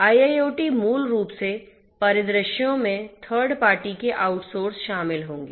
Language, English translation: Hindi, IIoT basically scenarios, will involve out sourced third parties